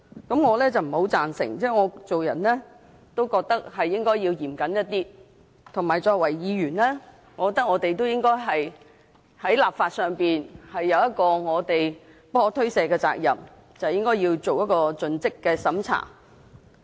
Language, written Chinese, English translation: Cantonese, 對此，我是不太贊成的，因為我認為做人應該嚴謹一些，以及作為議員，我認為我們在立法上是有不可推卸的責任，應該對《條例草案》進行盡職審查。, I do not quite agree to this because I think we should exercise greater prudence and care with what we do and I think we being Members have an unshirkable duty to enact laws and therefore a due diligence process is required of us in respect of the Bill